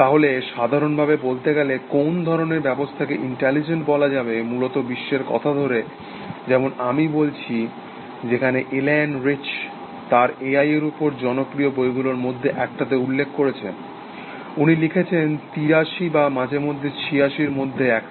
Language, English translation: Bengali, So, essentially saying what kind of system would be intelligent, in that sense of the world essentially, when Elaine Rich as I mentioned one of the popular books in A I, she wrote one in eighty three or something or eighty six